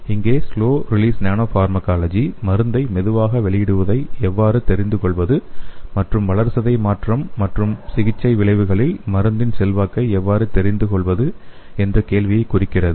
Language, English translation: Tamil, So here the slow release nanopharmacology addresses the question on how to realize the slow release of the drug and its influence on the drug metabolism and therapeutic effects